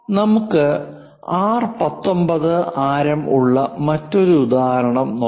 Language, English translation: Malayalam, Here another example we have again radius R19